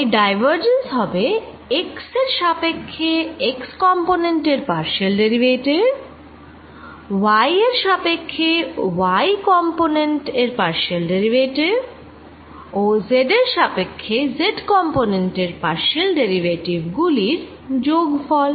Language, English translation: Bengali, so is divergence is going to be the sum of the partial derivative of x component with respect to x, partial derivative of y component with respect to y and partial derivative of z component with respect to z